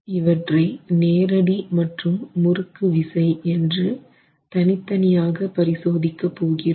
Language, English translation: Tamil, I'll examine them separately as direct shear and torsional shear